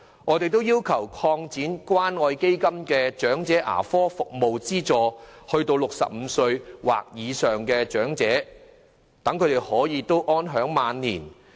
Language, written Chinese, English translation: Cantonese, 我們亦要求擴展關愛基金的長者牙科服務資助項目至65歲或以上的長者，讓他們能夠安享晚年。, We are also urging for the extension of the Elderly Dental Assistance Programme under the Community Care Fund to elderly persons aged 65 or above in order to ensure that the elderly can enjoy their twilight years